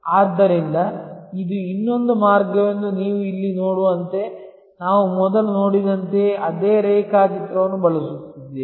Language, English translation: Kannada, So, again as you can see here that this is another way, we are using the same diagram as we saw before